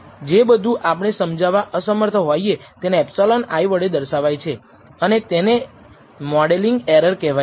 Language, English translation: Gujarati, And therefore, whatever we are unable to explain is denoted as epsilon i and it is called a modeling error